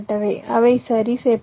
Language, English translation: Tamil, they are fixed